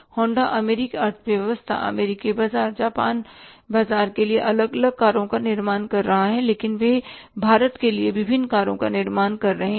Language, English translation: Hindi, Honda is manufacturing different cars for American economy, American market for the Japanese market for the European market, but they are manufacturing different cars for India